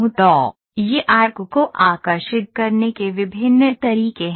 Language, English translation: Hindi, So, these are different ways of of drawing an arc